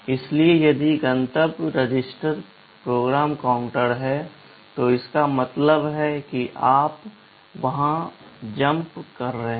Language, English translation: Hindi, So, if the destination register is PC it means you are jumping there